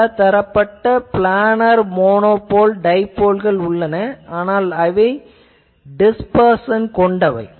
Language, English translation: Tamil, Then there are various types of planar monopoles, and dipoles, but sometimes they becomes dispersive etc